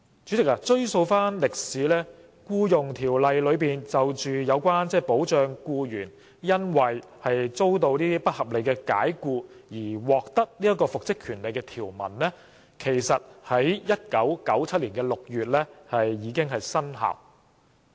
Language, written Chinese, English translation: Cantonese, 主席，追溯歷史，《僱傭條例》內有關保障僱員因遭不合理解僱而獲得復職權利的條文，在1997年6月已生效。, President tracing the history of the Ordinance the provisions relating to the protection of employees entitlement to the right to reinstatement in the event of unreasonable dismissal came into effect in June 1997